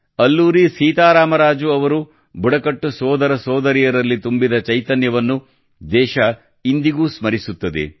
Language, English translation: Kannada, The country still remembers the spirit that Alluri Sitaram Raju instilled in the tribal brothers and sisters